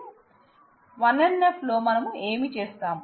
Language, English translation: Telugu, So, in 1 NF what we do